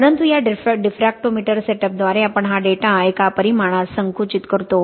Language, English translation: Marathi, But by this diffractometer setup we compress this data into one dimension